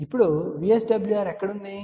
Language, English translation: Telugu, Now, where is VSWR